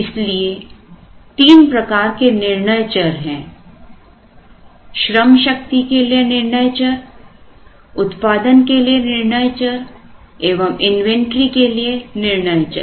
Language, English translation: Hindi, So, there are three sets of decision variables a certain variables for the workforce certain variables for the production and variables for inventory